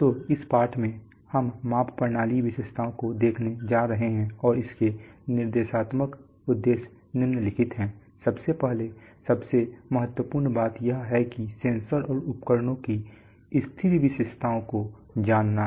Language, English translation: Hindi, So in this lesson we are going to look at measurement systems characteristics and the, and the instructional objectives are the following, first of all the most important thing is to learn is the what is known as the static characteristics of sensors and instruments